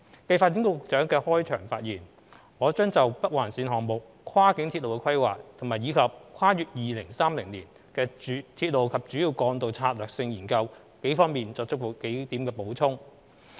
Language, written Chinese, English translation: Cantonese, 繼發展局局長的開場發言，我將就北環綫項目、跨境鐵路規劃及《跨越2030年的鐵路及主要幹道策略性研究》方面作幾點補充。, Subsequent to the Secretary for Developments opening remark I will supplement a few points in respect of the Northern Link NOL project cross - boundary railway planning and the Strategic Studies on Railways and Major Roads beyond 2030